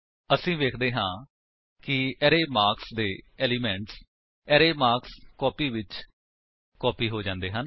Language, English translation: Punjabi, We see that the elements of the array marks have been copied to the array marksCopy